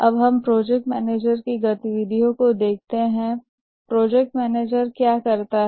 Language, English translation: Hindi, Now let's look at the activities of the project manager